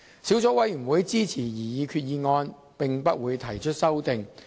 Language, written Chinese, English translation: Cantonese, 小組委員會支持擬議決議案及不會提出任何修正案。, The Subcommittee will support the proposed resolution and will not move any amendments